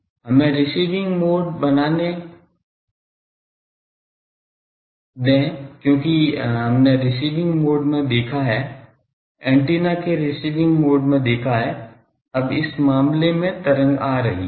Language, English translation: Hindi, So, let us draw the receiving mode, because that one we have seen in the transmitting mode, in the receiving mode, we have that antenna, now in this case the wave is coming ok